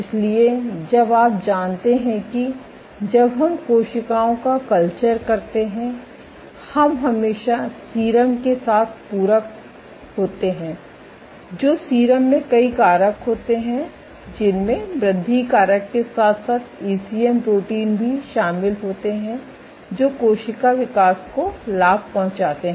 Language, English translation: Hindi, So, when you know that when we culture cells, we always supplement with serum the serum has multiple factors including growth factors as well as ECM proteins which benefit cell you know cell growth ok